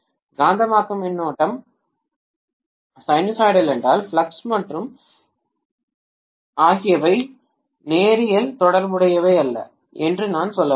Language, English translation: Tamil, If magnetizing current is sinusoidal, I can say flux and im are not linearly related